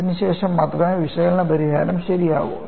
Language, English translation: Malayalam, Only then the analytical solution is correct